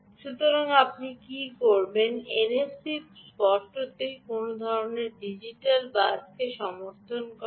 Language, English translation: Bengali, the n f c would obviously support some sort of digital bus